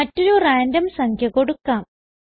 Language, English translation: Malayalam, Let us try with another random value